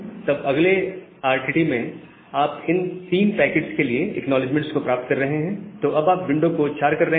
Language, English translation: Hindi, Then in the next RTT, you are getting the acknowledgement for those three packets, so you are making congestion window to 4